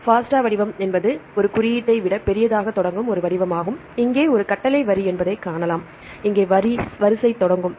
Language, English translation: Tamil, FASTA format is a format which starts with a greater than symbol, and here then we can see this is the command line and here the sequence will start